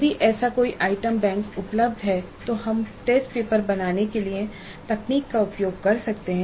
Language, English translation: Hindi, So if such an item bank is available we can use the technology to create a test paper